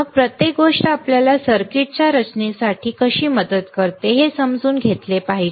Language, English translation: Marathi, Then we should understand how each thing helps us to understand for the design of the circuit